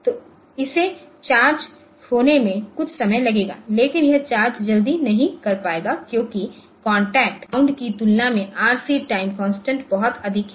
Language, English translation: Hindi, So, it will take some time to charge, but it will not charge that first because of the reason that this RC time constant is reasonably high compared to the contact bounds